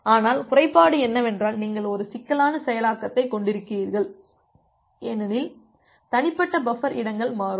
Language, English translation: Tamil, But the disadvantage is you have a complicated implementation because individual buffer spaces are dynamic